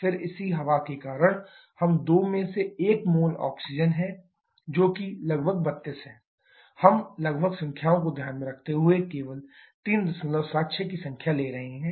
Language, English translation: Hindi, Then corresponding air so we have 2 into 1 mole of Oxygen that is approximately 32, we are taking approximate number just the neglecting the fractions plus 3